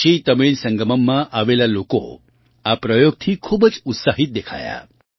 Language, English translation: Gujarati, People who came to the KashiTamil Sangamam seemed very excited about this experiment